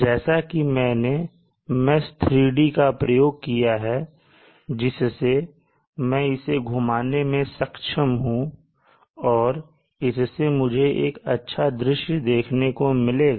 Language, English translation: Hindi, So as I use the mesh 3d I should be able to rotate it and just get a much better view of how it would look